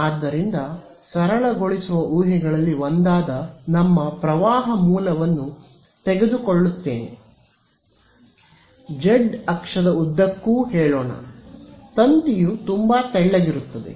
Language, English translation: Kannada, So, one of the simplifying assumptions will be we’ll take our current source to be let us say along the z axis, but very thin will make the wire to be very thin ok